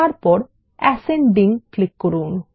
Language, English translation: Bengali, And then click on ascending